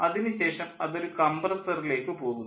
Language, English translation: Malayalam, here we are having a compressor